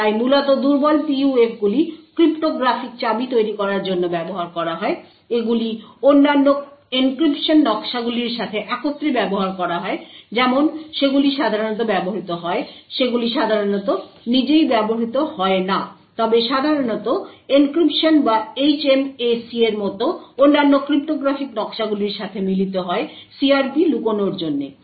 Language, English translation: Bengali, So essentially weak PUFs are used for creating cryptographic keys, they are used together with other encryption schemes like they are typically used they are typically not used by itself but typically combined with other cryptographic schemes like encryption or HMAC and so on in order to hide the CRP